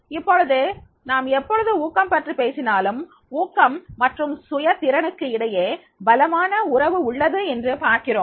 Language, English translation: Tamil, Now, you see that whenever we talk about the motivation, there is a strong relationship between the motivation and the self afficacy